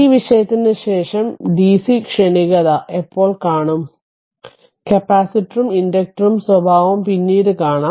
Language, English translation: Malayalam, When will see the dc transient after this topic at that time will see the behavior of capacitor as well as inductor that we will come later